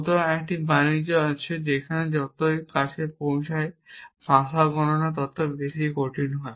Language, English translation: Bengali, So, there is a trade of the more reached the language the more difficult it is do computation